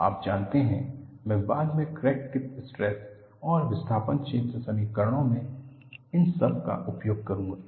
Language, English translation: Hindi, You know, I would use all of this in our later development of crack tip stress and displacement field equations